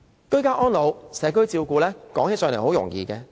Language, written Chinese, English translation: Cantonese, 居家安老、社區照顧，說是很容易。, It is easy to just talk about ageing in place and community care